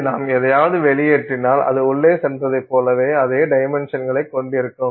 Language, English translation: Tamil, What comes out will have roughly the same dimensions as what went in